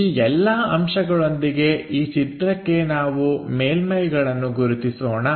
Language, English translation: Kannada, With those observations for this drawing let us identify the surfaces